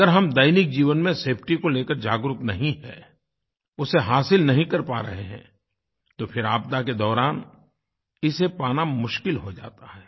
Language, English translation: Hindi, If we are not aware of safety in daily life, if we are not able to attain a certain level, it will get extremely difficult during the time of disasters